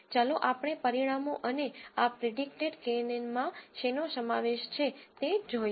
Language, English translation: Gujarati, Let us look at the results and what this predicted knn contains